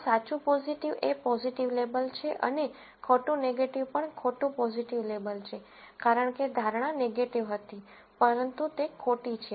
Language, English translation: Gujarati, So, true positive is a positive label and false negative is also false positive label, because, the prediction was negative, but that is false